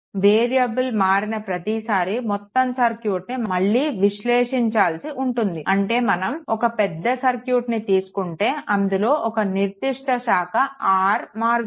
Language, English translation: Telugu, Each time the variable is change right, the entire circuit has to be analyzed again I mean if you take a last circuit and one particular branch say R is changing